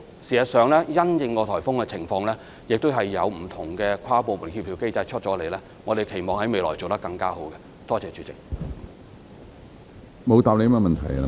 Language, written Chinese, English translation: Cantonese, 事實上，因應颱風的情況，我們會有不同的跨部門協調機制，期望未來在這方面能夠做得更好。, In fact we have different interdepartmental mechanisms for coordination depending on the situation of the typhoon . We hope that we can do better in this regard in the future